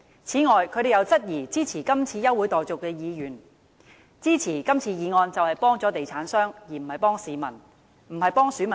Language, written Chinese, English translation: Cantonese, 此外，他們又質疑支持這項休會待續議案的議員，說支持議案就是幫助地產商，而不是幫市民或選民辦事。, Moreover they said that Members who supported the adjournment motion were helping real estate developers rather than helping the public or their electors